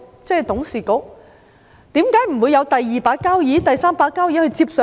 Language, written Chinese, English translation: Cantonese, 為何不會有"第二把交椅"、"第三把交椅"接手呢？, Why are there no second in command and third in command available to succeed him?